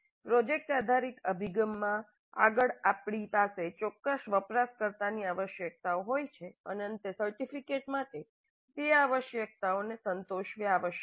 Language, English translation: Gujarati, In project based approach, upfront we are having certain user requirements and at the end the artifact must satisfy those requirements